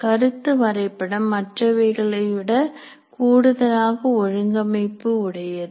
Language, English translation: Tamil, Concept map is a little more organized, structured